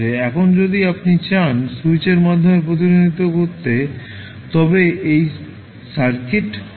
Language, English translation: Bengali, Now, if you want to represent through the switch this would be the circuit